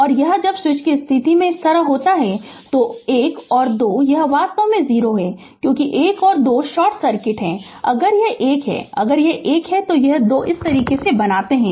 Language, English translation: Hindi, So, this when the switch position is like this so1 and 2 this is actually your what you call that it is 0 right because 1 and 2 is short circuit if 1 if it is if it is 1 and 2 make like this